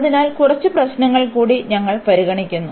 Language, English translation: Malayalam, So, we consider few more problems